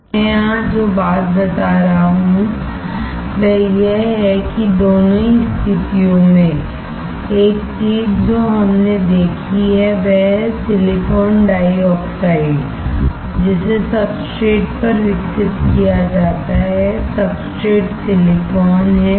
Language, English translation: Hindi, The point that I am making here is that in both the cases, one thing that we have seen is the silicon dioxide, which is grown on the substrate; the substrate being silicon